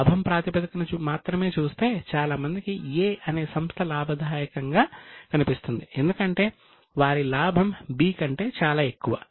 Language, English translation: Telugu, Only on the basis of this, perhaps most will say that A looks profitable because their profit is much more than that of B